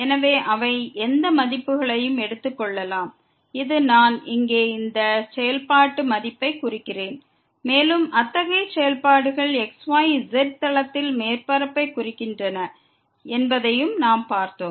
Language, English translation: Tamil, So, they can take any values and this that depends on the value of the I mean this functional value here and we have also seen that such functions represent surface in the xyz plane